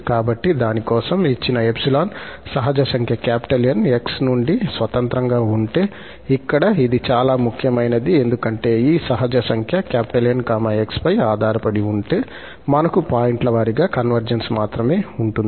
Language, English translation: Telugu, So, for that, we need to show that for given epsilon there does not exist a natural number N independent of x, here this is more important because if this natural number N depends on x, we have only pointwise convergence